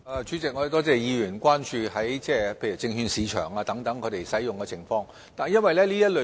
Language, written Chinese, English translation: Cantonese, 主席，多謝議員關注系統在證券市場等方面的使用情況。, President I thank the Honourable Member for his concern about the usage of the system in such arenas as the securities market